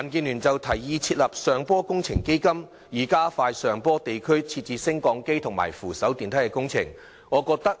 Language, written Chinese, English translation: Cantonese, 民建聯提議設立"上坡工程基金"，以加快在上坡地區設置升降機及扶手電梯工程。, DAB proposes to set up a hillside works fund to expedite the installation of hillside lifts and escalators